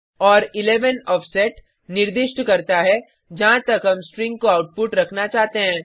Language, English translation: Hindi, And 11 specify the offset upto where we want the string to be in the output